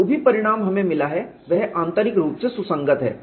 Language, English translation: Hindi, Whatever the result that we have got is internally consistent